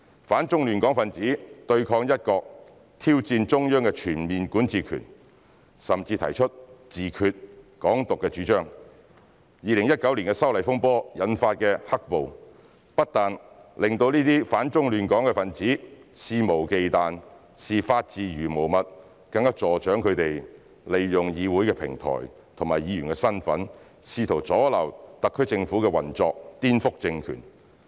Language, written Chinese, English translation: Cantonese, 反中亂港分子對抗"一國"、挑戰中央的全面管治權，甚至提出"自決"、"港獨"主張 ，2019 年修例風波引發的"黑暴"，不但令這些反中亂港分子肆無忌憚，視法治如無物，更助長他們利用議會平台和議員身份試圖阻撓特區政府的運作，顛覆政權。, Anti - China disruptors acted against one country challenged the Central Authorities overall jurisdiction and even advocated self - determination and Hong Kong independence . The black - clad violence triggered by the turbulence over the amendment bill in 2019 did not only make those anti - China disruptors reckless and lawless but also encouraged them to use the platforms of the Legislative Council and District Councils DCs as well as their position as Members to obstruct the functioning of the SAR Government and subvert the power